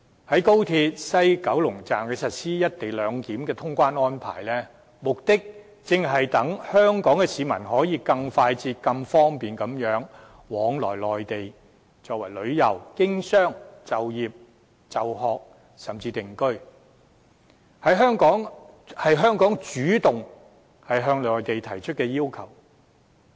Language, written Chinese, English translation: Cantonese, 在高鐵西九龍站實施"一地兩檢"的通關安排，目的正是讓香港市民可以更快捷方便地往來內地，到內地旅遊、經商、就業、就學甚至定居，這是香港主動向內地提出的要求。, It is precisely for the convenience of the people of Hong Kong to travel speedily to and from the Mainland―for leisure business work study or even settlement on the Mainland―that we implement the co - location clearance arrangement at WKS of XRL . This is a request we made to the Mainland of our own accord